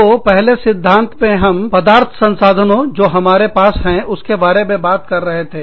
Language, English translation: Hindi, So, in the first theory, we talked about the material resources, that we had